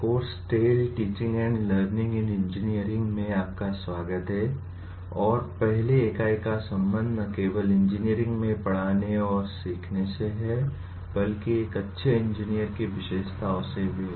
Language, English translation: Hindi, Welcome to the course TALE, Teaching and Learning in Engineering and the first unit is concerned with not only teaching and learning in engineering but also the characteristics of a good engineer